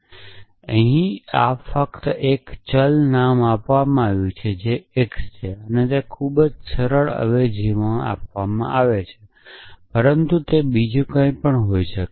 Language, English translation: Gujarati, In this substitution only one variable is named which is x and a very simple substitution is given which is, but it could be anything else